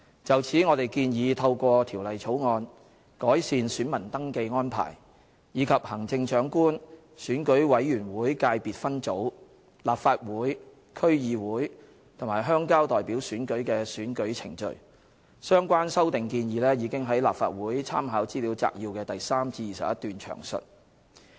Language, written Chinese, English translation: Cantonese, 就此，我們建議透過《條例草案》，改善選民登記安排，以及行政長官、選舉委員會界別分組、立法會、區議會及鄉郊代表選舉的選舉程序，相關修訂建議已於立法會參考資料摘要的第3至21段詳述。, In this connection we propose to improve the voter registration VR arrangements and the electoral procedures for the Chief Executive Election Committee Subsector ECSS Legislative Council District Council and Rural Representative elections by means of the Bill . The proposed amendments have been detailed in paragraphs 3 to 21 of the Legislative Council Brief